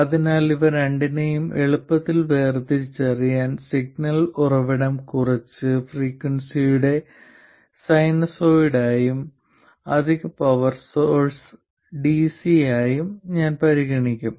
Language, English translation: Malayalam, So to distinguish between the two easily I will consider the signal source to be a sinusoid of some frequency and additional power source to be DC